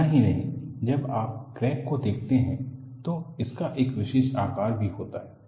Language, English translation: Hindi, Not only this, when you look at the crack, it also has a particular shape